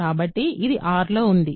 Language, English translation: Telugu, So, it is in R